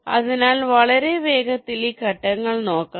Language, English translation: Malayalam, ok, so very quickly, let see this steps